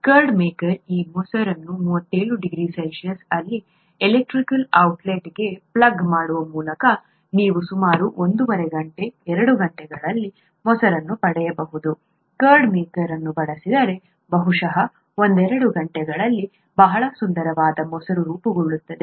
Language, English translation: Kannada, The curd makers that maintain this curd at 37 degree C by plugging it into an electrical outlet you can even get curd in about an hour and a half hours, two hours; very nice curd gets formed in maybe a couple of hours, if a curd maker is used